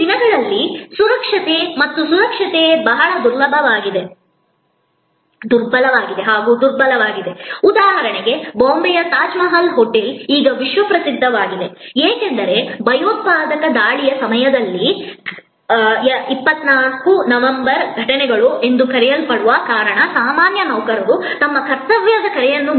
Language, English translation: Kannada, Safety and security these days very impotent for example, the Tajmahal hotel in Bombay is now world famous, because of at the time of the terrorist attack the so called 26/11 incidents the way ordinary employees went beyond their call of duty